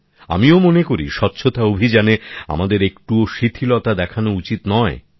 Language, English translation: Bengali, I also feel that we should not let the cleanliness campaign diminish even at the slightest